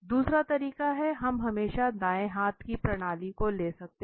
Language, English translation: Hindi, The second way we can always have this right handed system